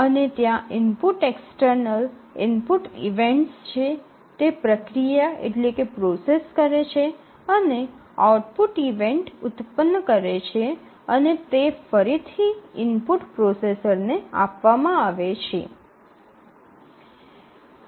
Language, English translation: Gujarati, And there are input external input events, it processes and produces output event and that is again fed back to the input processor